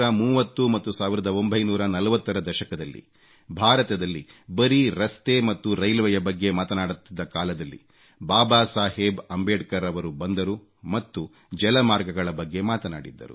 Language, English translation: Kannada, In the 30s and 40s when only roads and railways were being talked about in India, Baba Saheb Ambedkar mentioned about ports and waterways